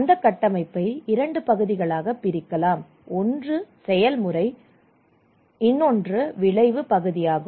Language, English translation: Tamil, And that framework can be divided into two part, one is the process part one is the outcome part